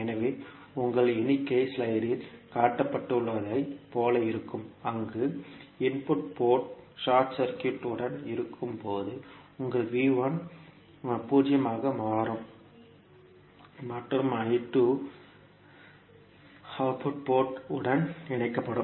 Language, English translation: Tamil, So your figure will look like as shown in the slide where the input port is short circuited in that case your V 1 will become 0 and I 2 is connected to the output port